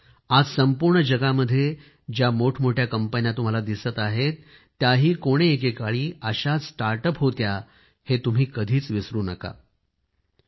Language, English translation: Marathi, And you should not forget that the big companies which exist in the world today, were also, once, startups